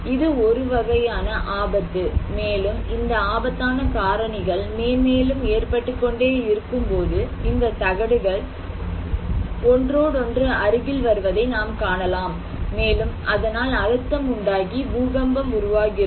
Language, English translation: Tamil, this is one hazard and when this is the source of the hazards and when this happen and this happens, we can see that these plates come in contact with each other and the pressure builds up an earthquake occurs